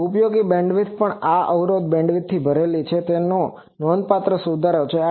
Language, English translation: Gujarati, And also the usable bandwidth is full this impedance bandwidth so, that is a remarkable improvement